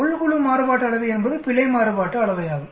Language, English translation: Tamil, Within group variance is nothing but the Error variance